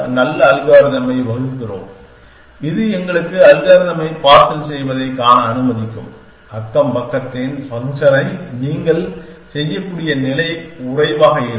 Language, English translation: Tamil, So, what do we do can we device the nice algorithm which will give us which allow us to see thus parcel the algorithm the neighborhood function the lesser the state you can